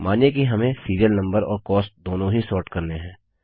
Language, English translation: Hindi, Lets say, we want to sort the serial numbers as well as the cost